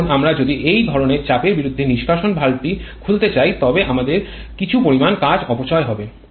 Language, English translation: Bengali, Now if we want to open the exhaust valve against such pressure we have to lose some amount of work